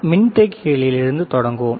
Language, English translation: Tamil, So, we start with the capacitors